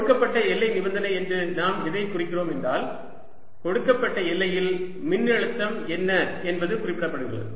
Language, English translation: Tamil, what we mean by given boundary condition means that we have specified that on a given boundary what is the potential